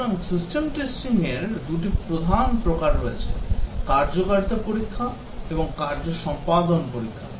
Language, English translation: Bengali, So, there are two major types on system testing, the functionality test and performance test